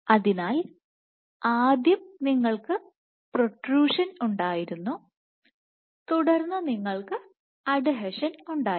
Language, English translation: Malayalam, So, first you have protrusion then you have adhesion